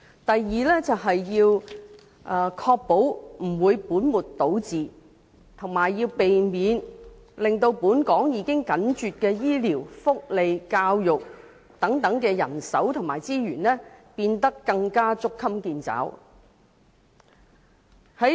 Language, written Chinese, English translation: Cantonese, 第二，要確保不會本末倒置，以及避免令本港已緊絀的醫療、福利和教育等人手和資源，變得更捉襟見肘。, Secondly it has to ensure not putting the cart before the horse and avoid further tightening of the already scanty health care welfare and education manpower and resources in Hong Kong